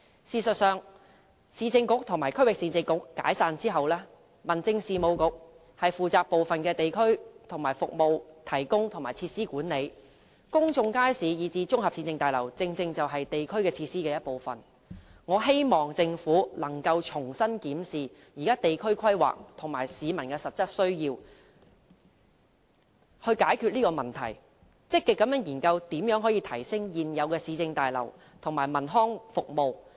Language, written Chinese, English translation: Cantonese, 事實上，市政局和區域市政局解散後，民政事務局負責部分地區服務提供和設施管理，公眾街市以至綜合市政大樓正正是地區設施的一部分，我希望政府可以重新檢視地區規劃與市民的實質需要，以解決這個問題，並積極研究如何提升現有市政大樓和文康服務。, In fact since the dissolution of the Urban Council and the Regional Council the Home Affairs Bureau has been responsible for the provision of certain district services and the management of facilities and public markets and municipal complexes are some of these district facilities . I hope that the Government will review its district planning and examine the genuine needs of the public with a view to solving the problem and that it will proactively examine ways to enhance the existing municipal complexes and municipal services